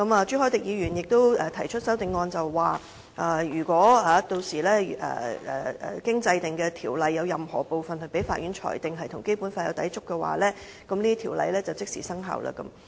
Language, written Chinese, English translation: Cantonese, 朱凱廸議員亦提出了修正案，指明若條例的任何部分被法院裁定與《基本法》有所抵觸，條例即停止生效。, Mr CHU Hoi - dick has also proposed an amendment specifying that when any part of the Ordinance is adjudicated as conflicting with the Basic Law by the Court the Ordinance ceases to be valid immediately